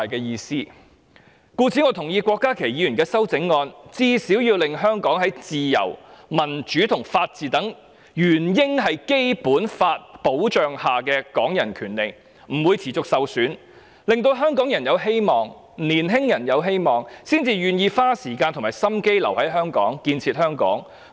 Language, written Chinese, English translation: Cantonese, 因此，我同意郭家麒議員的修正案，最低限度它是要使香港在"自由、民主及法治等原應在基本法保障下的港人權利"不會持續受損，令香港人有希望、令青年人有希望，這樣他們才會願意花時間和心機留在香港、建設香港。, Therefore I endorse Dr KWOK Ka - kis amendment which has at least ensured that the rights of Hong Kong people that should be protected under the Basic Law such as freedom democracy and rule of law will not be persistently undermined . By bringing hope to Hong Kong people and young people they will be more willing to spend time and effort to stay behind and develop Hong Kong